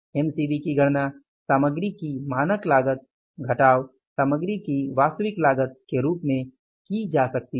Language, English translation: Hindi, MCB can be calculated as standard cost of material, standard cost of material minus actual cost of material